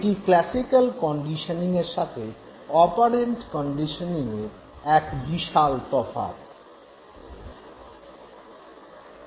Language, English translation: Bengali, So that is the big difference, big difference in terms of classical and operant conditioning